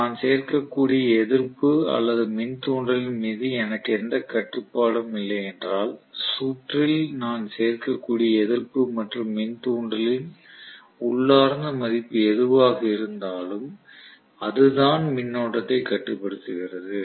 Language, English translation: Tamil, So if I have no control over the resistance that I can include or no control over an inductance that I can include in the circuit whatever is the inherent value of resistance and inductance that is what limits the current